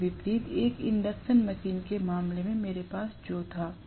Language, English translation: Hindi, Unlike, what I had in the case of an induction machine